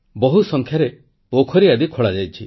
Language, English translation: Odia, A large number of lakes & ponds have been built